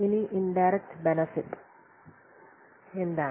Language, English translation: Malayalam, Now what is about indirect benefits